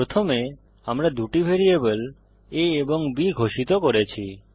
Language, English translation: Bengali, First, we declare two variables a and b